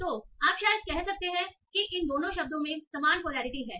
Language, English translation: Hindi, So you can say probably both these words have same polarity